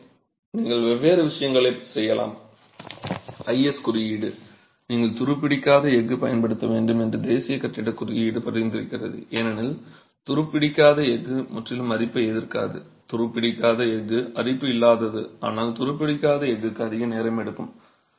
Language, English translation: Tamil, The IS code, the National Building Code recommends that you use stainless steel because stainless steel is not completely corrosion resistant, stainless steel is not corrosion free but it takes a longer time for stainless steel to corrode